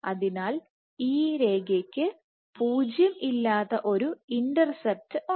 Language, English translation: Malayalam, So, this line has a nonzero intercept